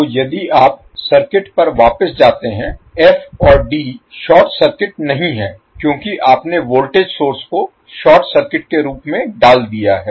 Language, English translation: Hindi, So, if you go back to the circuit f and d are not short circuited because you have put voltage source as a short circuit